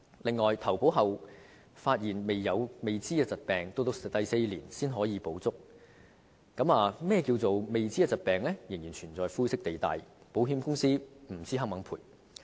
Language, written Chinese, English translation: Cantonese, 此外，在投保後發現未知的疾病，要在第四年才可獲全額賠償，而何謂"未知疾病"仍然存在灰色地帶，不知道保險公司是否願意賠償。, Besides if unknown conditions are found after a policy is taken out full compensation is provided only from the fourth year onwards and as there are still grey areas in the definition of unknown conditions no one knows whether the insurance companies will make compensation for these cases